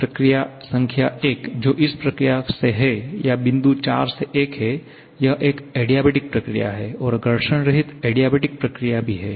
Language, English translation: Hindi, Process number 1, which is from this process or point 4 to 1, this is an adiabatic process and frictionless adiabatic process